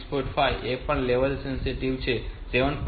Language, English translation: Gujarati, 5 they are also level sensitive, 7